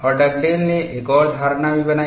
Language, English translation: Hindi, And Dugdale also made another assumption